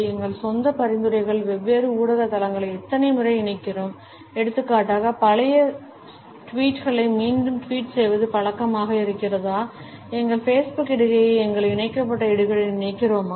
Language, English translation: Tamil, How often we link different media platforms in our own suggestions, for example, are we habitual of re tweeting the old tweets, do we connect our Facebook post with our linkedin post also